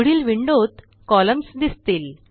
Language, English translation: Marathi, In the next window, we will add the columns